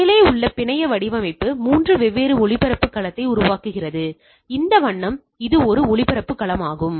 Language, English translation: Tamil, The network design above create three different broadcast domain, so this is having this colour is one broadcast, this is one broadcast domain right